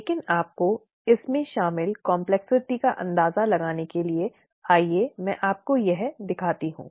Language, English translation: Hindi, But, to give you an idea of the complexity that is involved let me just show you this